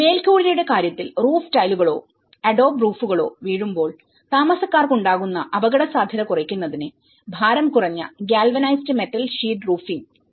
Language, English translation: Malayalam, And in terms of roof, there has been a lightweight probably galvanized metal sheets roofing to reduce potential danger to occupants from falling roof tiles or the adobe roofs